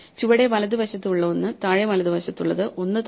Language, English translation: Malayalam, So, one to the right one to the bottom right in that the one below